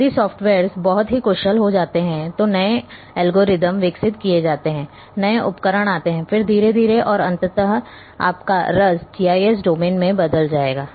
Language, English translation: Hindi, If softwares becomes very efficient new algorithms are developed new tools are there then slowly slowly all these will finally, and ultimately also will perculate into GIS domain